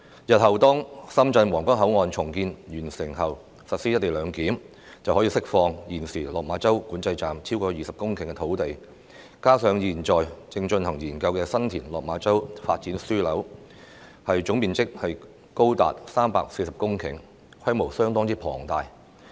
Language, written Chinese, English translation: Cantonese, 日後深圳皇崗口岸重建完成後將實施"一地兩檢"，可以釋出現時落馬洲管制站超過20公頃的土地，而現正進行研究的新田/落馬洲發展樞紐，總面積亦高達約340公頃，規模相當龐大。, Upon completion of the redevelopment of the Huanggang Port Control Point in Shenzhen in the future the co - location arrangement will be implemented there . More than 20 hectares of land at the Lok Ma Chau Control Point will then be released . The San TinLok Ma Chau Development Node currently under study is also of a large scale occupying a vast area of around 340 hectares of land